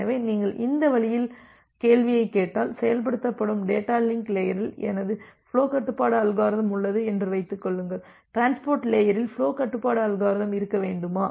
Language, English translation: Tamil, So, if you if you just ask the question in this way that let us assume that I have my flow control algorithm in the data link layer which is being implemented, do I need to have the flow control algorithm at the transport layer itself